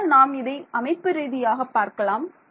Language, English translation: Tamil, So, we will go through this very systematically